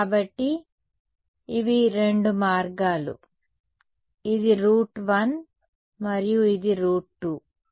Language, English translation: Telugu, So, these are two routes; this is route 1 and this is route 2